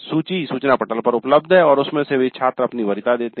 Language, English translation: Hindi, The list is available in the notice board and from that students give their preferences